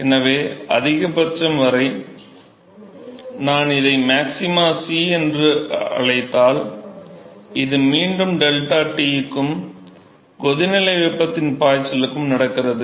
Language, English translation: Tamil, So, all the way up to the maximum, so, if I called this as some maxima C ok, and this is again deltaT verses the flux of heat that is supplied for boiling